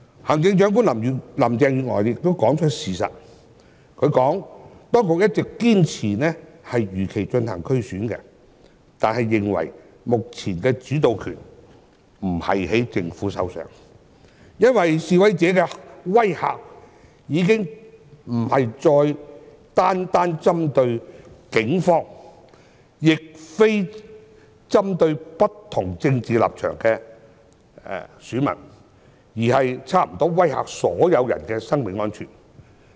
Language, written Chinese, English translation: Cantonese, 行政長官林鄭月娥也說出事實，她表示當局一直堅持如期進行區議會選舉，但認為目前的主導權不在政府的手上，因為示威者的威嚇已經不再單單針對警方，亦非單單針對不同政治立場的選民，而是差不多威嚇所有人的生命安全。, Chief Executive Carrie LAM has told the truth by saying that the Government had all along insisted on holding the DC Election as scheduled but it had no control over the situation because intimidation from demonstrators was no longer targeted merely at the Police or voters with different political stances but at the personal safety of nearly everyone